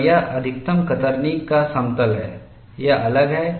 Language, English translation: Hindi, The plane of maximum shear is really out of plane